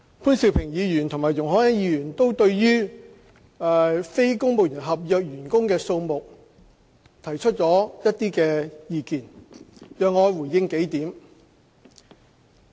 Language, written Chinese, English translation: Cantonese, 潘兆平議員和容海恩議員都對於非公務員合約員工的數目提出了一些意見，讓我回應幾點。, Mr POON Siu - ping and Ms YUNG Hoi - yan have put forward their views on the number of non - civil service contract NCSC staff . Please allow me to respond to a few points